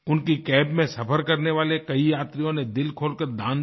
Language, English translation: Hindi, His cab passengers too contributed largeheartedly